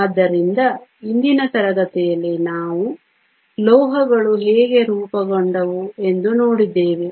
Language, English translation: Kannada, So, in todayÕs class we have looked at how metals formed